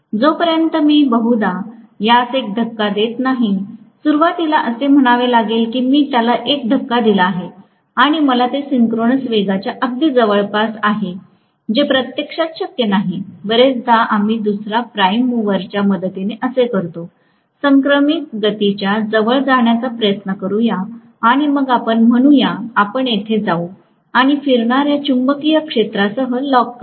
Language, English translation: Marathi, Unless, I probably give it a push, let say initially I give it a push and I get it very close to synchronous speed, which is actually not manually possible, very often we do this with the help of another prime mover, we try to get it up to speed close to synchronous speed